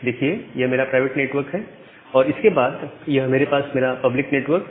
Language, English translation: Hindi, So, this is my private network; this is my private network and then I have my public network right